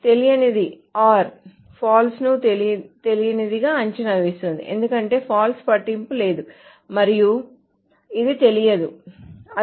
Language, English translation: Telugu, Unknown or false evaluates to unknown because the false doesn't matter and this is the unknown that is it